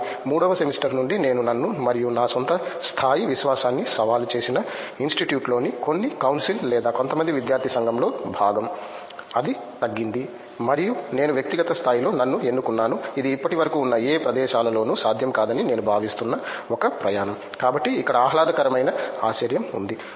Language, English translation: Telugu, But right from the third semester onwards I was part of some council or some student body in the institute that challenged me and my own level of confidence, it went down and I picked myself up at a personal level it has been a journey that I think would not have been possible in any of the places that have been till now, so that’s the pleasant surprise here